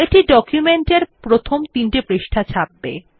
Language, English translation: Bengali, This will print the first three pages of the document